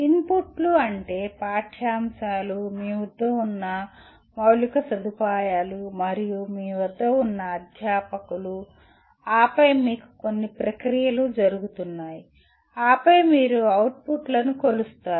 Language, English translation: Telugu, Inputs could mean the curriculum, the kind of infrastructure that you have, and the faculty that you have ,and then with all that you have certain processes going on, and then you measure the outputs